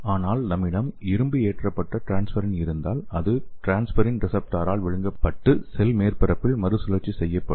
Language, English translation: Tamil, But if we are having iron loaded transferrin that will be engulfed by transferrin receptor and recycled to the cell surface